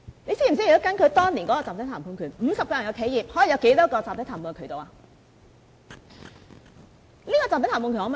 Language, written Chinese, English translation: Cantonese, 你知否若根據當年的集體談判權 ，50 人的企業，可以有多少個集體談判渠道？, Does he know that according to the proposal back then how many bargaining channels a 50 - strong enterprise could have?